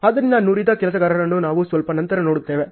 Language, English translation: Kannada, So, the skilled worker we will see a little later